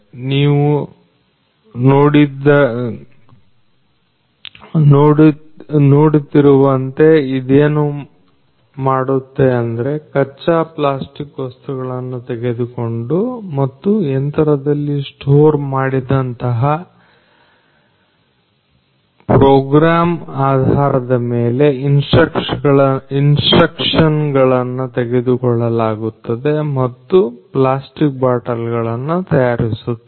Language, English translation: Kannada, And this particular machine as you will see what it does is it takes the raw plastic materials and based on the program that is stored in this machine basically then that program the instructions are taken and the, the plastic bottles are made